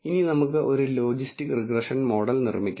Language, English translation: Malayalam, Now, let us build a logistic regression model